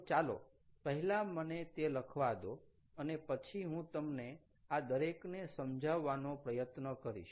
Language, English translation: Gujarati, ok, let me first write it down and then try to explain each of this